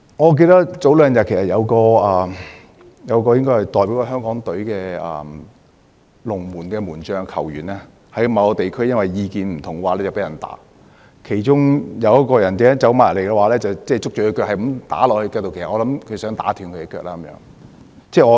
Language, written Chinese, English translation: Cantonese, 我記得早兩天，一名前香港足球代表隊門將在某地區因意見不合遭人毆打，其中有人走過去捉着他的腳不斷揮打，其實我猜那個人想打斷他的腳。, I remember two days ago the goalkeeper of the Hong Kong football team was assaulted by several people due to differences in opinion . One of the assaulters held onto his leg and hit it . I believe the assaulter was trying to break his leg